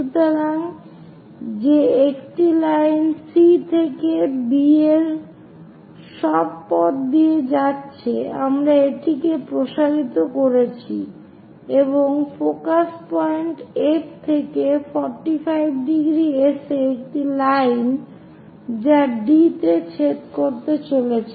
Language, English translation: Bengali, So, that a line passing from C all the way B we extended it and a line at 45 degrees from focus point F, so that is going to intersect at D